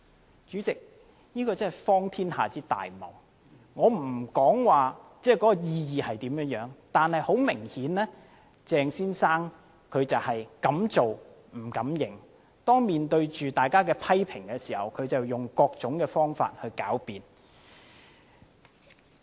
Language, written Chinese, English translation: Cantonese, 代理主席，這真是荒天下之大謬，我不評論有關意義，但是，很明顯鄭先生是敢做不敢認，當面對着大家的批評時，他便用各種方法來狡辯。, I will not comment on such a meaning but it is obvious that Dr CHENG had the guts to do what he did but none to admit it . Facing widespread criticisms he resorted to specious arguments of every sense